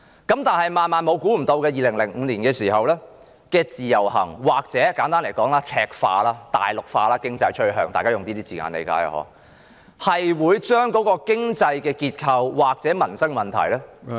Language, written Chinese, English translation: Cantonese, 但是，萬萬想不到的是，在2005年的自由行，或簡單來說，是經濟趨向赤化或大陸化——我用這些字眼，大家應該理解——會把經濟結構或民生問題......, I could not have imagined however that the Individual Visit Scheme in 2005 put simply has brought about a reddened or Mainlandized economy―you should understand why I use these words―and our economic structure and livelihood problems would be